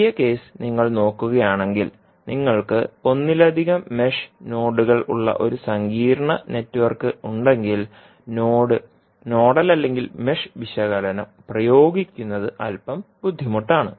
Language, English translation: Malayalam, So, if you see the first case you, if you have a complex network where you have multiple mesh and nodes of level, then applying the node nodal or mesh analysis would be a little bit cumbersome